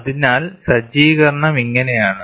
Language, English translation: Malayalam, So, this is how the setup looks like